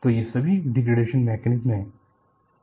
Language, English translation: Hindi, So, these are all degradation mechanisms